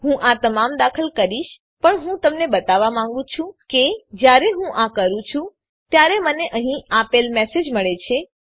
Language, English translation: Gujarati, I will enter all this but i want to show you , The moment i do that i get the message given here